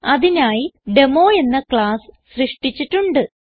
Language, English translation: Malayalam, For that I have created a class Demo